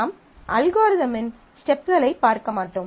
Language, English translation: Tamil, So, I am not going through the steps of the algorithm